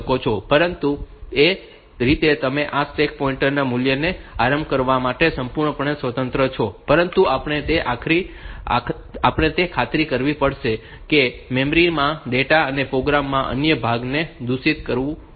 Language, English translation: Gujarati, But that way you are absolutely free to initialize this stack pointer value, but we have to make sure that it does not corrupt other part of the data and program in the memory